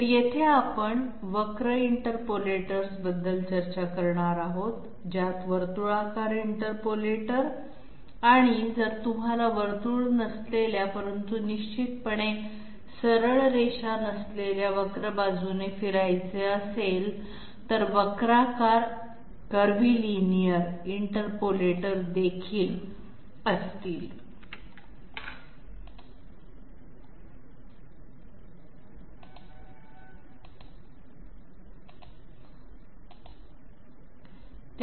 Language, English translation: Marathi, So here we are going to discuss about curvilinear interpolators which will include circular interpolators and also curved interpolators for that matter say if you want to move along a curve which is not a circle but definitely not a straight line